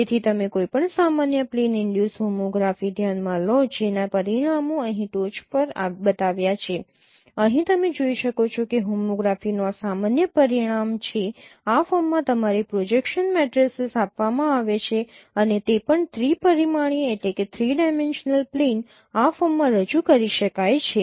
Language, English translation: Gujarati, So you consider any general plane induced homography which is the results are shown here at the top here you can see that this is the general result of homography given your projection matrices in this form and also the plane three dimensional plane the representation in this form